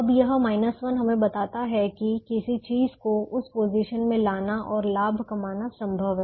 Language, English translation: Hindi, now this minus one tells us that it is possible to put something in that position and gain